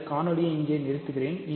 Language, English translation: Tamil, So, let me stop this video here